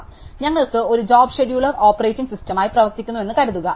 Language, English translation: Malayalam, So, supposing we would have a job scheduler running on as operating system